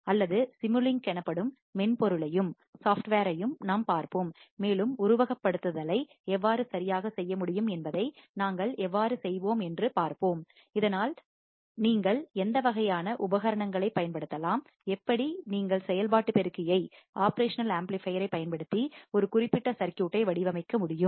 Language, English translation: Tamil, Or we will also see software called simulink and we will see how we can do how we can perform the simulation right, so that will give a little bit more understanding on how the circuit can be implemented what kind of equipment you can use and how you can design a particular circuit using operation amplifier all right